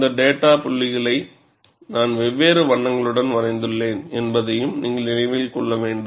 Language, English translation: Tamil, And you will have also have to keep in mind, that I have drawn these data points with different colors